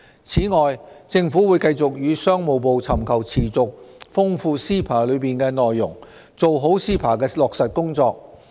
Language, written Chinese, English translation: Cantonese, 此外，政府會繼續與商務部尋求持續豐富 CEPA 的內容，做好 CEPA 的落實工作。, Furthermore the Government will seek to continuously enrich the content of CEPA with the Ministry of Commerce and implement CEPA properly